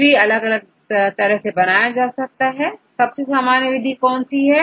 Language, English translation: Hindi, There are different ways to construct the trees; what is the most common method right